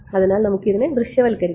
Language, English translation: Malayalam, So, let us visualize this right